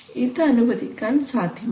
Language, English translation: Malayalam, Now you do not want to allow that